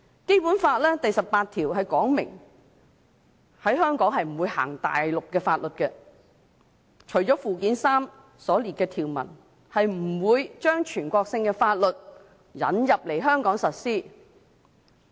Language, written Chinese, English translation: Cantonese, 《基本法》第十八條訂明，在香港不會實施內地法律，除了附件三所列的法律外，不會將全國性法律引入香港實施。, Article 18 of the Basic Law states that national laws shall not be applied in Hong Kong except for those listed in Annex III to the Basic Law . It says that national laws will not be introduced into Hong Kong